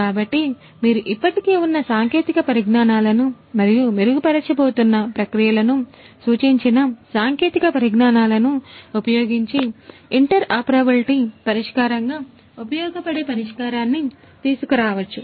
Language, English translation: Telugu, So, how you can how you can come up with a solution that can serve as an interoperability solution between the existing technologies and the suggested technologies which are going to improve their processes